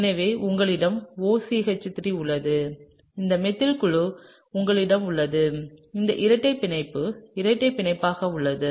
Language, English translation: Tamil, So, you have OCH3 and you have this methyl group going in and this double bond remains as the double bond